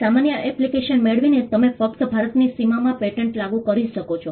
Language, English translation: Gujarati, By getting an ordinary application, you can only enforce the patent within the boundaries of India